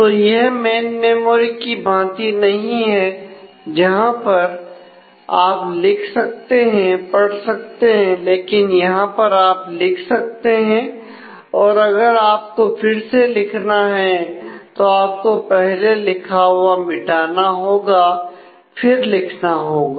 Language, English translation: Hindi, So, it is not like in the main memory where you can read write read write like that here you can write and then if you want to write again then you will have to erase and write it